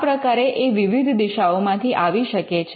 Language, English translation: Gujarati, So, it could come from different sources